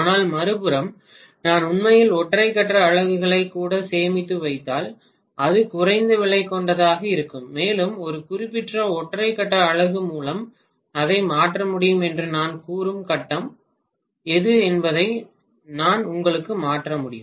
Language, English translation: Tamil, But on the other hand if I actually store even couple of single phase units it will be less expensive and I would be able to replace you know whatever is the phase that has conked out I can replace that by one particular single phase unit